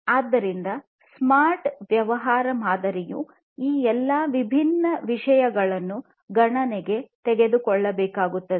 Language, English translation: Kannada, So, a smart business model will need to take into consideration all of these different things